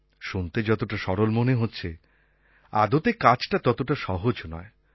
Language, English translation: Bengali, It sounds very simple, but in reality it is not so